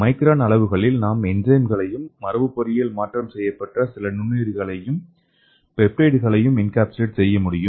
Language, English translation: Tamil, And in micron dimensions we can encapsulate enzymes or we can encapsulate some of the genetically engineered microorganisms and peptides and everything